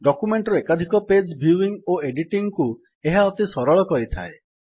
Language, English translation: Odia, It makes the viewing and editing of multiple pages of a document much easier